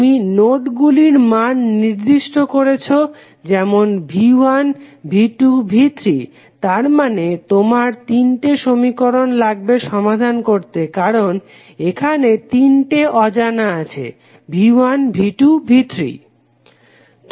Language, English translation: Bengali, You have assign the value of node voltages as V 1, V 2 and V 3 that means you need three equations to solve because you have now three unknowns V 1, V 2 and V 3